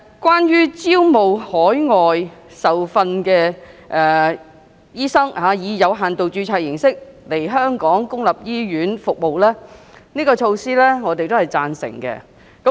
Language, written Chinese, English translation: Cantonese, 關於招聘海外受訓的醫生以有限度註冊形式來港在公立醫院提供服務的安排，我是贊成的。, Regarding the recruitment of overseas trained doctors to provide services in local public hospitals by means of limited registration I am supportive to this